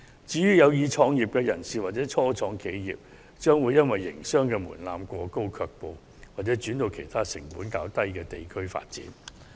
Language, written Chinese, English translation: Cantonese, 至於有意創業的人士或初創企業，則會因為營商門檻過高而卻步，又或轉往其他成本較低的地區發展。, People who want to start their own businesses or start - ups will also be discouraged by the high threshold or they will move to other places with lower costs for development